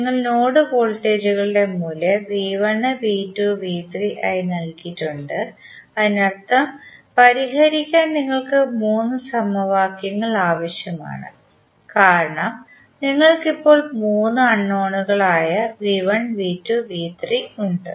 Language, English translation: Malayalam, You have assign the value of node voltages as V 1, V 2 and V 3 that means you need three equations to solve because you have now three unknowns V 1, V 2 and V 3